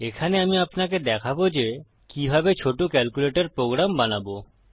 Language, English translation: Bengali, Here, Ill show you how to create a little calculator program